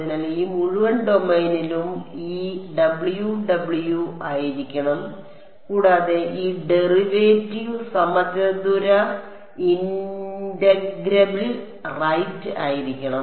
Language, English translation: Malayalam, So, over this entire domain this W should be W and this derivative should be square integrable right